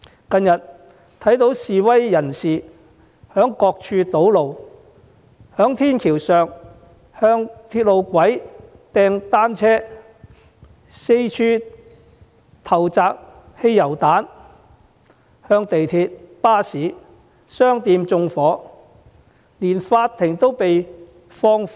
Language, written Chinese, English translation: Cantonese, 近日，我們看到示威人士在各處堵路，在天橋上向鐵路路軌投擲單車，又四處投擲汽油彈，對港鐵、巴士、商店以至法庭縱火。, These days we have seen protesters blocking roads at various places throwing bicycles onto the railway tracks from footbridges pelting petrol bombs everywhere and making arson attacks against MTR buses shopping malls and even law courts